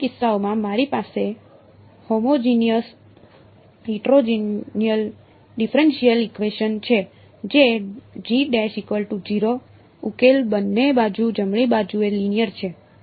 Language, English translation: Gujarati, In both of these cases, I have a homogenous differential equation which is G double prime equal to 0 solution is linear both sides right